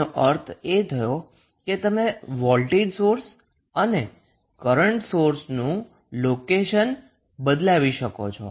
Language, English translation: Gujarati, So, that means that you can exchange the locations of Voltage source and the current